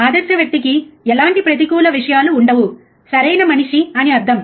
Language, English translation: Telugu, Ideal person would not have any kind of negative things, right is a godly